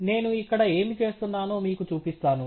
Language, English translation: Telugu, And let me show you what I am doing here